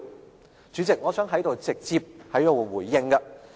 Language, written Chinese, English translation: Cantonese, 代理主席，我想在此直接回應。, Deputy President I want to directly respond to his remark